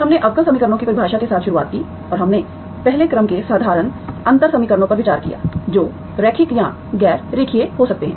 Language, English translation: Hindi, We started with the definition of differential equations and we considered first order ordinary differential equations that can be linear or non linear